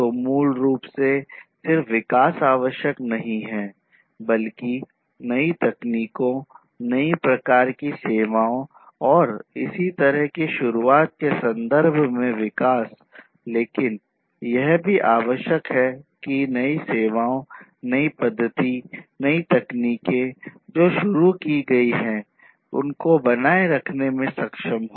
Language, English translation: Hindi, So, basically what is required is not just the development, development in terms of introduction of new technologies, new types of services, and so on, but what is also required is to be able to sustain the newer systems, newer methodologies, newer techniques that are introduced